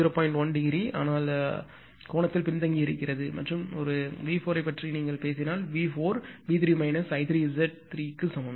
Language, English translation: Tamil, 1 degree, but it is your what you call it is lagging angle right ah and ah and if you talk of a compute V 4; V 4 is equal to V 3 minus I 3 Z 3